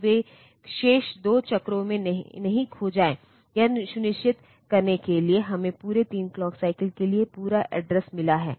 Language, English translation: Hindi, So, that they are not lost in the remaining 2 cycles, to make sure that we have got entire address for the full 3 clock cycles